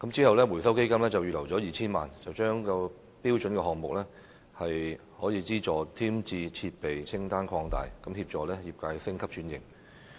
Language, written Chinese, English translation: Cantonese, 後來，基金預留了 2,000 萬元，將"標準項目"下可資助添置的設備清單擴大，協助業界升級轉型。, Later 20 million was earmarked under the Fund to expand the list of fundable items under Standard Projects as a means of assisting the industry in upgrading and restructuring